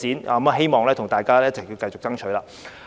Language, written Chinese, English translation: Cantonese, 我希望大家一同繼續爭取。, I hope everyone can keep striving together